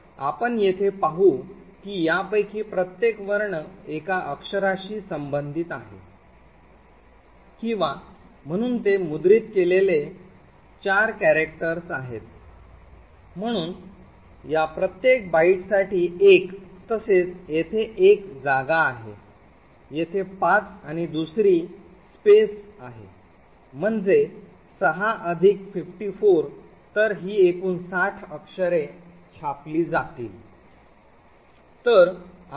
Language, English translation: Marathi, So let us see over here so each of this corresponds to a one character or so it is 4 characters that are printed by this, so one for each of these bytes then there is a space over here so five and another space over here six plus 54 so it is a total of sixty characters that gets printed